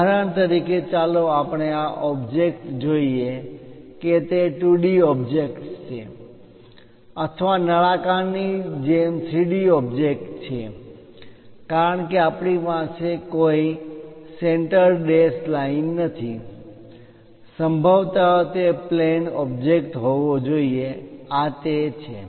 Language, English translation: Gujarati, For example, let us look at this object is it a 2d object or 3d object like cylindrical object because we do not have any center dashed lines, possibly it must be a planar object this is the one